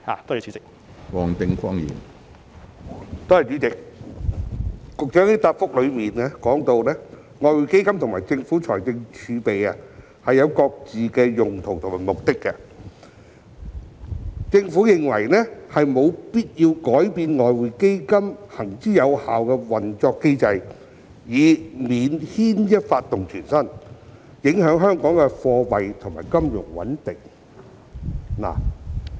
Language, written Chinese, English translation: Cantonese, 局長在主體答覆中提到外匯基金及政府財政儲備各有其用途和目的，政府認為沒有必要改變外匯基金行之有效的運作機制，以免牽一髮而動全身，影響香港的貨幣和金融穩定。, The Secretary said in the main reply that EF and the fiscal reserves had different uses and served different purposes and the Government considered that there was no need to change the established operating mechanism of EF as any change of which might seriously affect the monetary and financial stability in Hong Kong